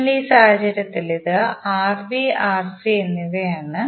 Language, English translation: Malayalam, So in this case it is Rb and Rc